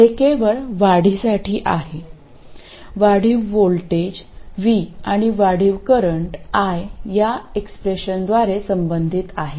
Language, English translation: Marathi, The incremental voltage v and the incremental current I are related by this expression